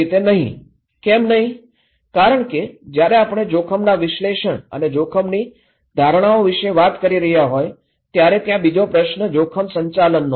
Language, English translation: Gujarati, Why no, when we are saying that okay we have risk analysis and risk perceptions, there is another question is looking into risk management